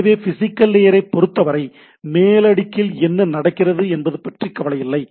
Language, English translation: Tamil, So, as long as the physical layer is concerned, it is not bothered about what is going on the upper layer things right